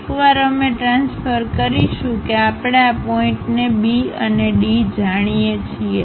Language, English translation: Gujarati, Once we transfer that we know these points B and D